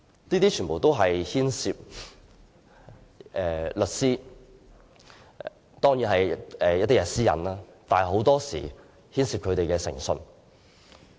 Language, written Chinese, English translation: Cantonese, 這一切也牽涉律師的私隱，但很多時候亦牽涉他們的誠信。, All these factors involve the privacy of a solicitor and very often their integrity